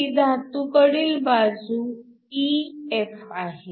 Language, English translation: Marathi, This is my metal side EF